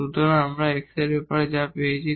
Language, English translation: Bengali, So, there is a restriction on x y